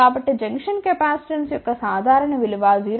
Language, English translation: Telugu, So, typical value of the junction capacitance can vary from 0